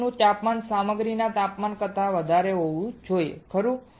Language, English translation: Gujarati, The temperature of the boat should be greater than temperature of the material right